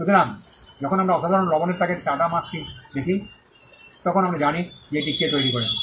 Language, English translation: Bengali, So, when we see the Tata mark on a packet of common salt, we know who created it